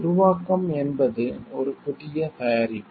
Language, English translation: Tamil, Creation is that and coming up of a new product